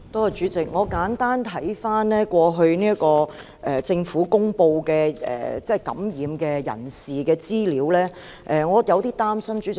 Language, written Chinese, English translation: Cantonese, 主席，看過政府公布感染人士的資料，我感到有點擔心。, President after reviewing the information on infected persons published by the Government I am a bit worried